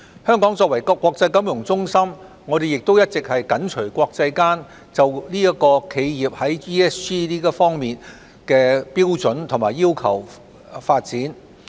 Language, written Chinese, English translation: Cantonese, 香港作為國際金融中心亦一直緊隨國際間就企業在 ESG 方面的標準及要求發展。, As an international financial centre Hong Kong has always closely followed the development of the international standards and requirements on the enterprises ESG aspects